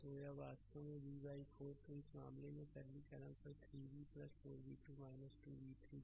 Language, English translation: Hindi, So, in this case you are upon simplification you will get 3 v plus 4 v 2 minus 2 v 3 is equal to 0